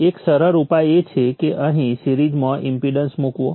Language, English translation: Gujarati, One simple solution is put an impedance in series here